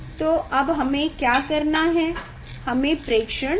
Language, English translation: Hindi, Now what we have to do, we have to take data